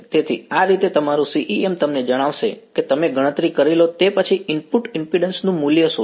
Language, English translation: Gujarati, So, this is how your CEM is going to tell you what is after you have done the calculation what is the value of the input impedance over here